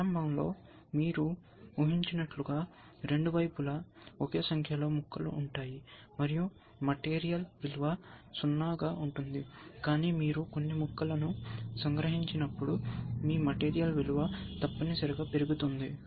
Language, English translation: Telugu, Initially as you can guess, both sides of the same number of pieces a value of material value is 0, both are the same number of pieces, but as you capture some pieces, your material value goes up essentially